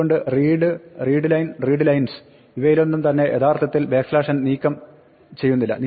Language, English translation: Malayalam, So, read, readline and readlines, none of them will actually remove the backslash n